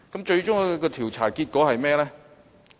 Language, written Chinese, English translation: Cantonese, 最終的調查結果是甚麼？, What was the outcome of that inquiry then?